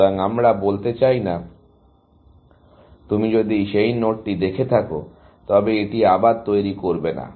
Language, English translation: Bengali, So, we do not want to say if you have seen that node, do not generate it again, essentially